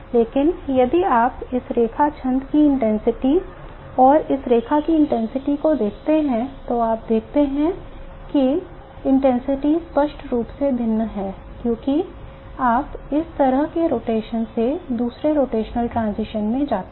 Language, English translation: Hindi, But if you look at the intensity of this line versus the intensity of this line versus the intensity of this line, you see the intensities are clearly different as you go from one vibration one rotation to another rotational transition and so on